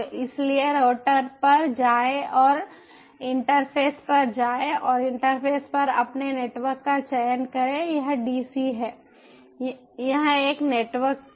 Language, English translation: Hindi, so go to the router and to go to the interface and, at interface, select your network